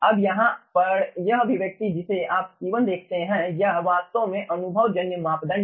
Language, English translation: Hindi, now, here, in this expression, you see, c1 is actually empirical parameter